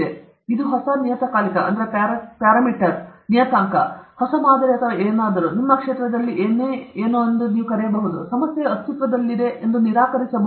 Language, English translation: Kannada, Can we call it as a new parameter, new paradigm or something, whatever in your field, and the deny that the problem exists